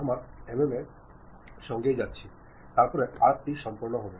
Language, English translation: Bengali, We are going with mm OK, then arc will be done